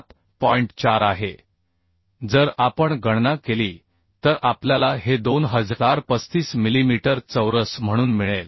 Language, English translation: Marathi, So if we calculate we will get this as Ab as 2035 millimeter square right